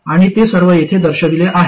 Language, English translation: Marathi, And they are all shown here